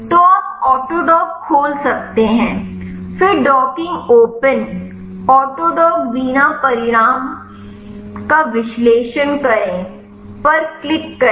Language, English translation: Hindi, So, you can open the autodock then click analyze docking open autodock vina result